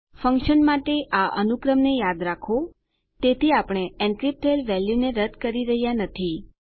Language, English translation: Gujarati, Remember this sequence for the functions, so that we are not striping off our encrypted value